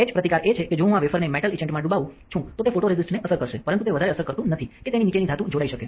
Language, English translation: Gujarati, Etch resistance is that, if I dip this wafer in a metal etchant then it will affect photoresist, but it should not affect that greatly that the metal below it will get etched